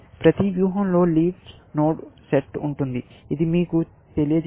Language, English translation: Telugu, Every strategy has a set of leaf nodes, which tell you about this